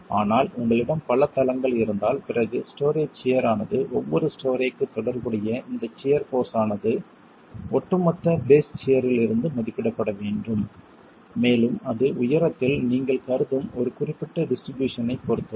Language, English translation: Tamil, But if you have multiple floors, then the story shear force corresponding to each story has to be estimated from the overall base shear and that depends on a certain distribution that you will assume along the height